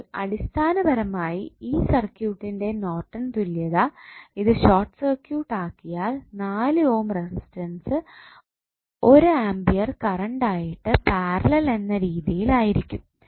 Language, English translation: Malayalam, So, basically the Norton's equivalent of this circuit when it is not short circuited would be 1 ampere in parallel with 4 ohm resistance